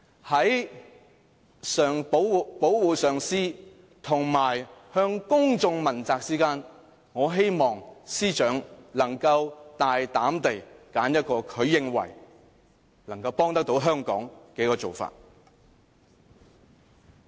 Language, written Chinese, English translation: Cantonese, 在保護上司及向公眾問責之間，我希望司長能夠大膽地選擇一個她認為能夠幫助香港的做法。, I hope she can courageously choose the option she considers helpful to Hong Kong when it comes to the protection of her supervisor and holding herself accountable to the public